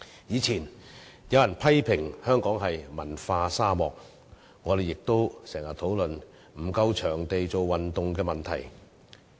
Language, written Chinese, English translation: Cantonese, 以前有人批評香港是文化沙漠，我們亦經常討論沒有足夠場地做運動的問題。, In the past some people criticized that Hong Kong was a cultural desert and we often discussed the shortage of sports venues